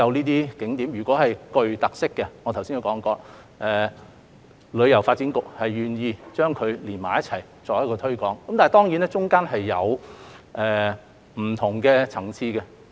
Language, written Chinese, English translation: Cantonese, 如果景點具有特色，正如我剛才所說，旅發局是願意將這些景點連在一起作推廣的，但當中或會有不同的層次。, If heritage spots are of unique features as I just said DEVB is willing to join them together for collective promotion though the Bureau may accord different levels of importance to them